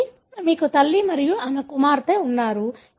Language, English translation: Telugu, So, you have a mother and her daughter